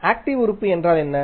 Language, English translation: Tamil, So, active element is what